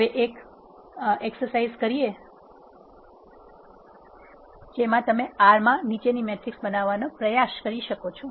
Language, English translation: Gujarati, Now, as an exercise you can try creating the following matrices in R